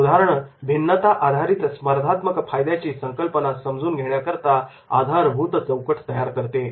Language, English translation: Marathi, This case helps develop a framework for understanding the concept of differentiation based competitive advantage